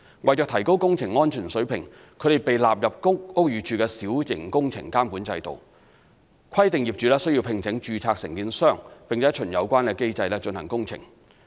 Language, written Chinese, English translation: Cantonese, 為提高工程安全水平，它們被納入屋宇署小型工程監管制度，規定業主須聘請註冊承建商並循有關機制進行工程。, In order to enhance works safety the works are now included in the Minor Works Control System of BD under which works must be carried out by registered contractors in accordance with the established mechanism